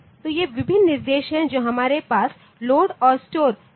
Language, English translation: Hindi, So, these are the various instructions that we have in load and store variants